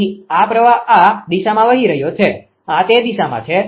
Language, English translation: Gujarati, So, this current is flowing this direction this I is flowing this is this direction